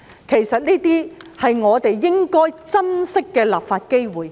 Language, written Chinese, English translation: Cantonese, 其實，這些都是我們應該珍惜的立法機會。, In fact these are all precious legislative opportunities